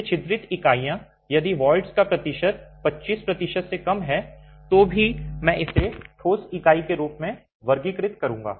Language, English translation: Hindi, These perforated units, if the percentage of voids is less than 25 percent, I would still classify that as a solid unit